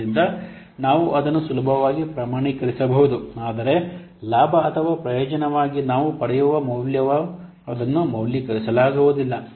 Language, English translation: Kannada, So we can easily quantify it but the value that you will get as the gain or the benefit that it cannot be a valued